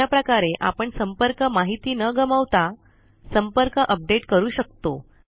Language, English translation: Marathi, This way we can update the contacts without losing contact information